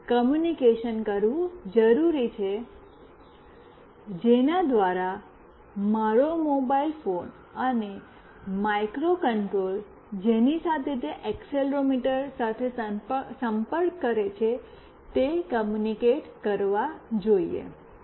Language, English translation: Gujarati, We need to have some communication through which my mobile phone and the microcontroller with which it is connected with the accelerometer should communicate